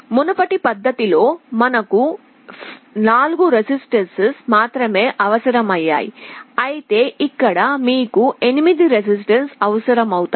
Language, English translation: Telugu, In the earlier method, we were requiring only 4 resistances, but here if you need 8 resistances